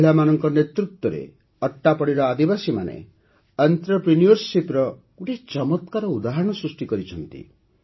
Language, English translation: Odia, Under the leadership of women, the tribal community of Attappady has displayed a wonderful example of entrepreneurship